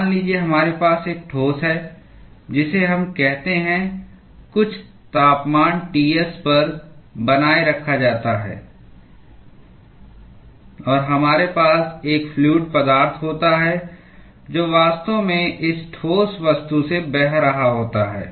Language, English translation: Hindi, Suppose, we have a solid, which is let us say, maintained at some temperature T s and we have a fluid which is actually flowing past this solid object